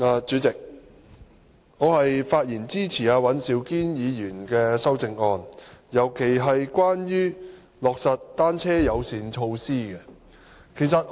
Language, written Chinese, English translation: Cantonese, 主席，我發言支持尹兆堅議員的修正案，尤其是關於"落實'單車友善'措施"。, President I speak in support of Mr Andrew WANs amendment particularly the proposal to implement bicycle - friendly measures